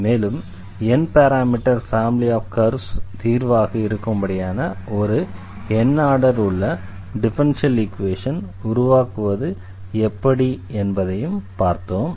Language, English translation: Tamil, We have also seen in this lecture that how to this form differential equation out of the given of parameter n parameter family of curves